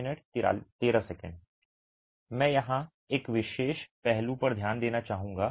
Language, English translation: Hindi, I would like to focus on a particular aspect here